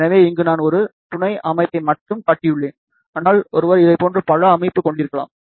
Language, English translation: Tamil, So, here I have shown only one supporting structure here, but one can have multiple thing like this